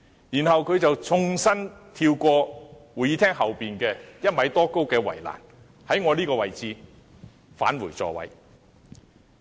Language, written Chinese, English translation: Cantonese, 然後，他縱身跳過位於會議廳後方高1米多的圍欄，從我這個位置返回座位。, And then he jumped over the fence of more than 1 m tall at the back of the Chamber before returning to his seat from this position of where my seat is